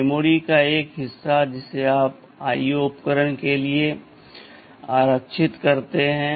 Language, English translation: Hindi, TNow there is 1 one part of memory which that you reserved for the IO devices